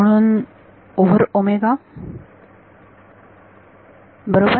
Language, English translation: Marathi, So, over omega right